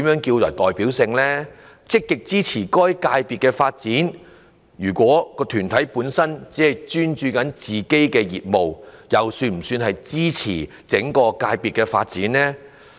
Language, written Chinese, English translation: Cantonese, 至於"積極支持該界別的發展"，如果團體本身只專注於自己的業務，又是否屬於支持整個界別的發展？, As for the requirement of [being] active in supporting the development of the sector concerned will a body focusing only on its own business development be regarded as supporting the development of the sector concerned?